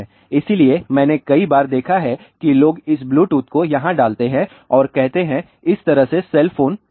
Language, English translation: Hindi, So, what I have seen many a times that people put this Bluetooth over here and let us say put the cell phone like this